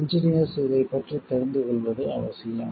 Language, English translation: Tamil, This is important for the engineers to know about it